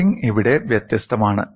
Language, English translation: Malayalam, The loading is different here